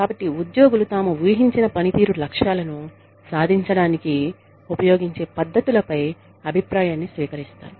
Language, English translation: Telugu, So, that employees receive feedback, on the methods, they use to achieve their, expected performance goals